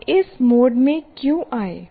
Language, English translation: Hindi, And why did we get into this mode